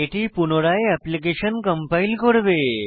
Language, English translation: Bengali, It will also recompile the application